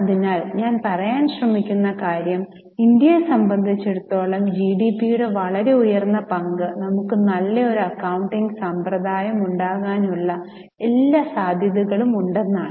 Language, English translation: Malayalam, So, the point I am trying to make is considering that a very high share of GDP for India, there is every possibility that we had a good system of accounting